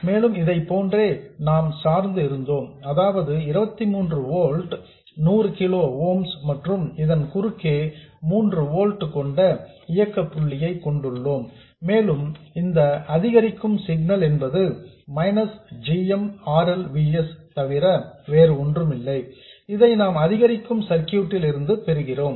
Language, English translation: Tamil, S and we had biased it like this, where this is 23 volts, this is 100 kilo o ooms, and across this we have an operating point of 3 volts and the incremental signal is nothing but minus GMRL VS that we get from the incremental circuit